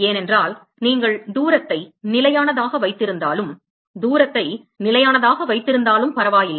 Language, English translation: Tamil, Because the it does not matter, even if you keep the distance constant, even if you keep the distance constant ok